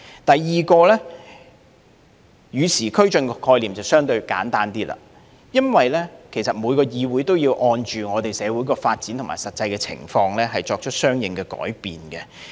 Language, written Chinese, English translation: Cantonese, 第二，與時俱進的概念便相對簡單，因為每個議會也要按照社會發展和實際情況作出相應改變。, The second point about the concept of progressing abreast of the times is relatively simple . Any legislature must introduce corresponding changes on the basis of social development and actual circumstances